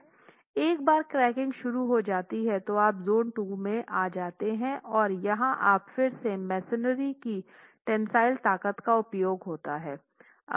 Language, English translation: Hindi, Once cracking progresses, you're into zone 2, cracking progresses and here again you might want to use a tensile strength of the masonry